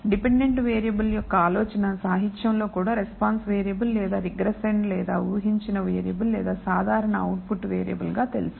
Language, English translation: Telugu, The idea of a dependent variable which is known also in the literature as a response variable or regressand or a predicted variable or simply the output variable